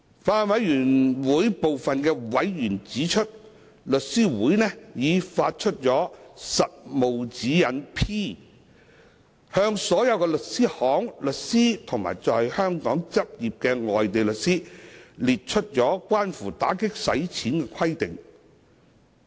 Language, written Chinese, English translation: Cantonese, 法案委員會部分委員指出，律師會已發出《實務指示 P》，向所有律師行、律師及在香港執業的外地律師列出關乎打擊洗錢的規定。, Some members of the Bills Committee have pointed out that The Law Society has issued Practice Direction P PDP setting out requirements relating to anti - money laundering for all law firms solicitors and foreign lawyers practising in Hong Kong